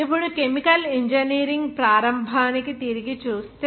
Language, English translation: Telugu, Now, if we look back to the starting of chemical engineering